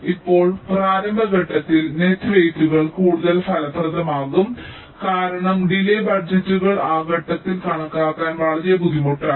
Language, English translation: Malayalam, the initial stage is net weights can be more effective because delay budgets are very difficult to to estimate during that stage